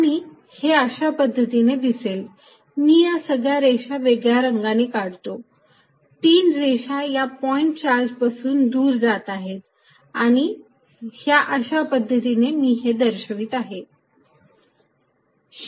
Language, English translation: Marathi, And the way it is going to look, I will draw it in different color is all these lines, three lines going away from this point charge, this is how I am going to denote it